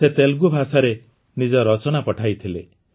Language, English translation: Odia, She had sent her entry in Telugu